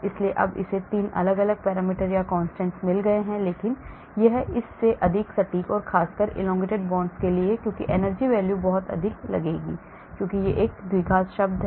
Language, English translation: Hindi, so now this has got 3 different parameters or constants, but this is more accurate than this, especially for elongated bonds because the energy values will look very high because this is a quadratic term